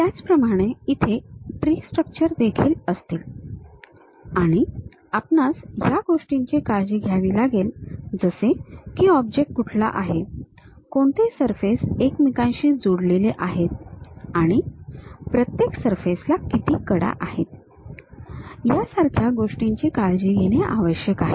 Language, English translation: Marathi, Similarly, there will be tree structures one has to be careful, something like what is the object, which surfaces are connected and each surface how many edges are there